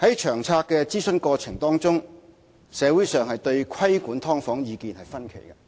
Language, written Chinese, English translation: Cantonese, 在《策略》諮詢過程當中，社會對規管"劏房"意見分歧。, During the consultation on the LTHS people had divided views on the regulation of subdivided units